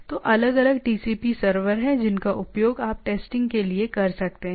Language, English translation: Hindi, So, there are different TCP servers which you can useful for testing